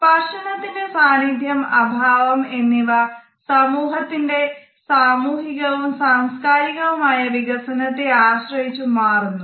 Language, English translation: Malayalam, The presence or absence of touch the extent to which it is acceptable in a society depends on various sociological and cultural developments